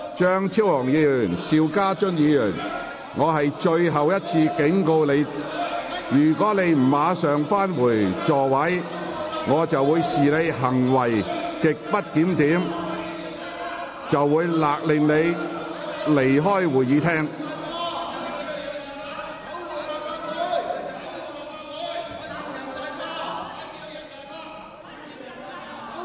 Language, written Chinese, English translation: Cantonese, 張超雄議員、邵家臻議員，我最後一次警告，如你們再不返回座位，我會視之為行為極不檢點，並命令你們離開會議廳。, Dr Fernando CHEUNG Mr SHIU Ka - chun this is my last warning . If you do not return to your seats now I would consider your conduct grossly disorderly and order you to leave the Chamber